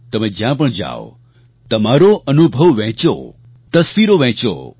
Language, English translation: Gujarati, Wherever you go, share your experiences, share photographs